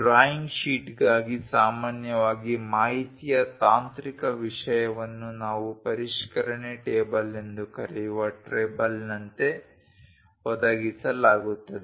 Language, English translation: Kannada, For the drawing sheet usually the technical content or the information will be provided as a table that’s what we call revision table